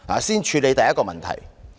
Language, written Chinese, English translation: Cantonese, 先處理第一個問題。, Let us start with the first question